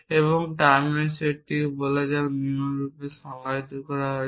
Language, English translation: Bengali, And the set of terms let us call the T is defined as follows